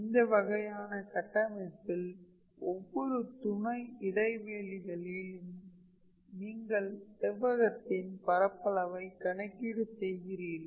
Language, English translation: Tamil, And then in that case this in on every sub interval you are basically calculating the area of a rectangle